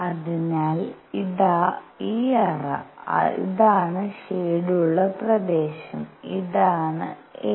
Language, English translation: Malayalam, So here is this cavity, this was the shaded region and this is a